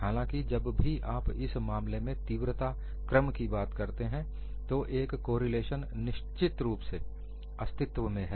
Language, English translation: Hindi, Nevertheless, if you look at the order of magnitudes in this case, a correlation definitely exists